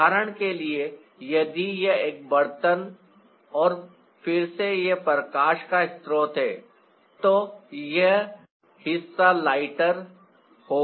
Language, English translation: Hindi, for example, if this is the pot trial and again this is a source of light, this part will be lighter